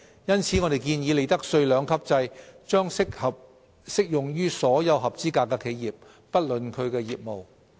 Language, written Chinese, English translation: Cantonese, 因此，我們建議，利得稅兩級制將不論業務而適用於所有合資格企業。, For this reason we propose that the two - tiered profits tax rates regime should be applicable to all eligible enterprises regardless of the nature of their business